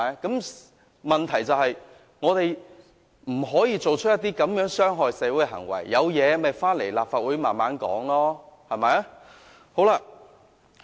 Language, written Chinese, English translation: Cantonese, 我們不可作出這種傷害社會的行為，如果有問題，大家可回來立法會慢慢討論。, We cannot engage in this kind of behaviours that are harmful to society . If there are problems we can bring them to the Legislative Council for discussion